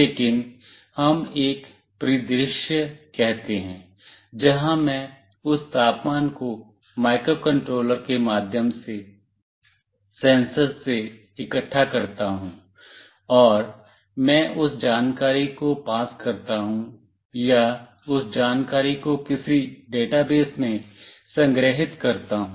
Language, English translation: Hindi, But, let us say a scenario where I gather that temperature from the sensor through microcontroller, and I pass that information or store that information in some database